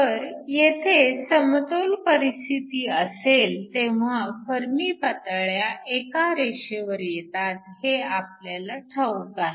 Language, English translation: Marathi, So, when we have this in equilibrium we know that the Fermi levels must line up